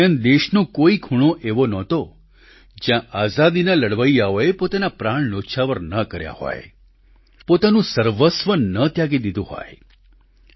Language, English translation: Gujarati, During that period, there wasn't any corner of the country where revolutionaries for independence did not lay down their lives or sacrificed their all for the country